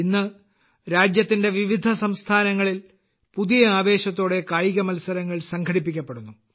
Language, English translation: Malayalam, Today, sports are organized with a new enthusiasm in different states of the country